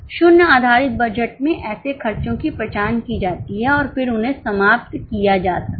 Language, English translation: Hindi, In zero based budgeting, such expenses are identified and then they can be eliminated